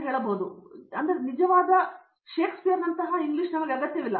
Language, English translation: Kannada, So this type of a real a Shakespeare English and all we do not need